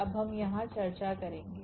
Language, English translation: Hindi, We will discuss here now